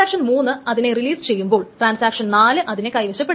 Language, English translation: Malayalam, As it happens that once transaction 1 releases it, transaction 3 grabs the lock